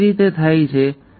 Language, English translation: Gujarati, How does this come about